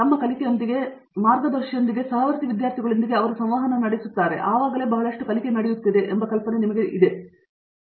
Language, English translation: Kannada, There is always this idea that you know lot of learning happens when they interact with fellow students, with their faculty, with their guide and so on